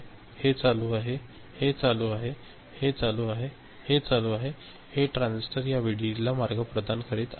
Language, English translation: Marathi, So, this is ON, this is ON, this is ON, this is ON, these transistors are providing path to this VDD